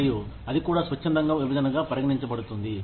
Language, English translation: Telugu, And, that also counts as, a voluntary separation